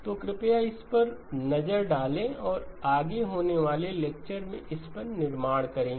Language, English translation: Hindi, So please do take a look at this and we will build on this in the lectures going forward